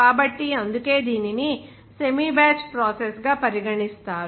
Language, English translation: Telugu, So, that why it is regarded as the semi batch process